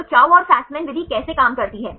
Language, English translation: Hindi, So, how Chou and Fasman method works